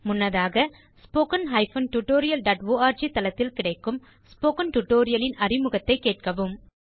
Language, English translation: Tamil, Please listen to the introduction to Spoken tutorial available at http://www.spoken tutorial.org before starting this tutorial